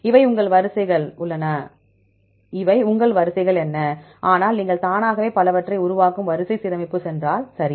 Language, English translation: Tamil, What these are your sequences, but you will auto it will create the your multiple sequence alignment right